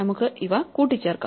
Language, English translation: Malayalam, So, we can just add these up